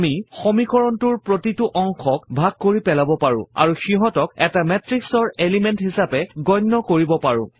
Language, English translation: Assamese, We can separate each part in the equation and treat the parts as elements of a matrix